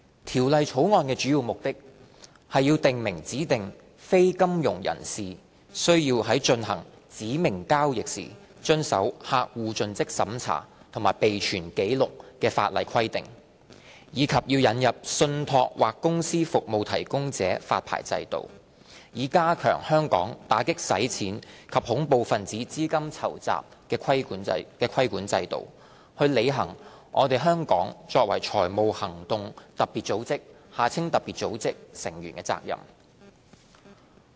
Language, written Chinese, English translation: Cantonese, 《條例草案》的主要目的，是訂明指定非金融業人士須在進行指明交易時遵守客戶盡職審查及備存紀錄的法例規定，以及引入信託或公司服務提供者發牌制度，以加強香港打擊洗錢及恐怖分子資金籌集的規管制度，履行香港作為財務行動特別組織成員的責任。, The main purposes of the Bill are to lay down the statutory customer due diligence CDD and record - keeping requirements applicable to designated non - financial businesses and professions DNFBPs who engage in specified transactions and to introduce a licensing regime for trust or company service providers TCSPs which will enhance the anti - money laundering and counter - terrorist financing AMLCTF regulatory regime of Hong Kong and fulfil Hong Kongs international obligations under the Financial Action Task Force FATF